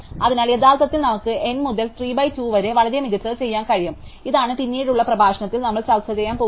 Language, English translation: Malayalam, So, we can actually do much better than N to 3 by 2, and this is what we are going to discuss in a later lecture